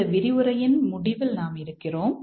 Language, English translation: Tamil, We are almost at the end of this lecture